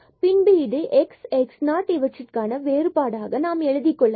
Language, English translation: Tamil, So, this is the point here between x 0 and x 0 plus h